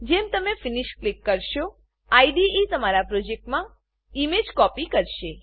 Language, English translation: Gujarati, After you click Finish, the IDE copies the image to your project